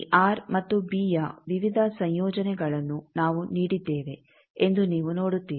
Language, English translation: Kannada, You see that we have given various combinations of this R and b